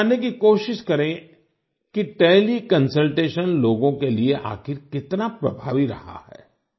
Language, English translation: Hindi, Let us try to know how effective Teleconsultation has been for the people